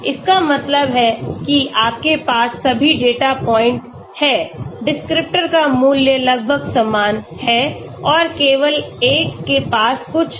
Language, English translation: Hindi, That means you have all the data points, the descriptor value is almost same, and only one has something different